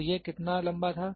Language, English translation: Hindi, So, how much was it taller